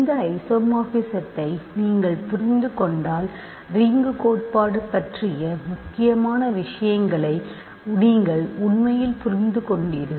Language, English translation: Tamil, If you understand this isomorphism you really have understood important things about ring theory